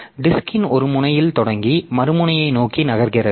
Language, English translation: Tamil, The disk starts at one end of the disk and moves toward the other end